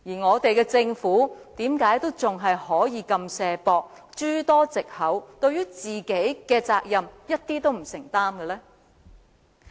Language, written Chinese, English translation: Cantonese, 我們的政府為甚麼仍然這麼"卸膊"，諸多藉口，對於其應負的責任一點都不承擔呢？, Why would the Government continue to find excuses to shirk its responsibilities and make no commitment to fulfilling its obligation?